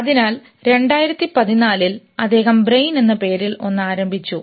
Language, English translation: Malayalam, So he, 2014, he started something called brain